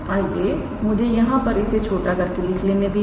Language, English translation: Hindi, So, I can calculate let me write it here in small